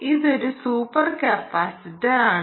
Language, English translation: Malayalam, right, this is super capacitor here